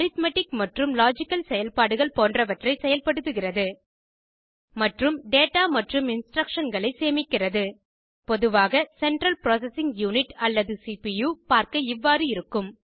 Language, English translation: Tamil, The Central Processing unit performs operations like arithmetic and logical operations and stores data and instructions Typically, the Central Processing unit or CPU looks like this